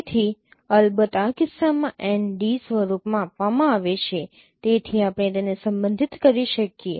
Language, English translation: Gujarati, So in this case of course this is given in the form of n d so that we can relate it